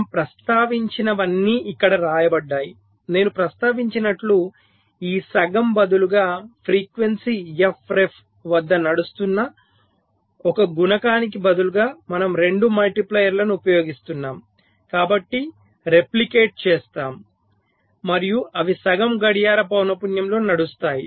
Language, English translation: Telugu, i have mentioned, instead of this, half, instead of one multiplier running at a frequency f ref, we use two multipliers, so replicated, and they run at half the clock frequency